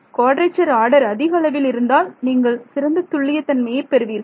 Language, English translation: Tamil, The higher the order of quadrature you use the better accuracy you got right